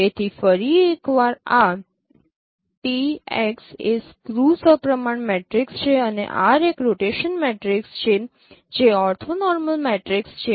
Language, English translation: Gujarati, So once again this is a T cross is a scheme symmetric matrix and R is a rotation matrix which is an orthonormal matrix